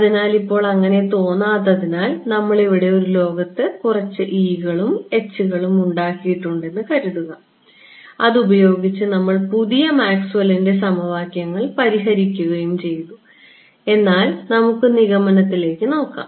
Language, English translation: Malayalam, So, now, let us because it does not seem that way, just seem that we have done some make belief world where we have introduced some e’s and h’s and solved this Maxwell’s new Maxwell’s equations, but let us look at the conclusion right